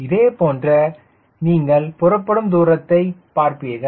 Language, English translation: Tamil, similar thing you will find with takeoff distance